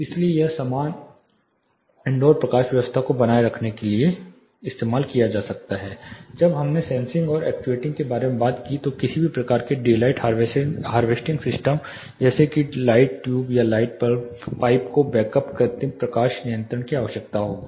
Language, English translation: Hindi, So, as to maintain a uniform indoor lighting then, we talked about sensing and actuating any type of daylight harvesting system like say light tube or light pipes will require a back up artificial lighting control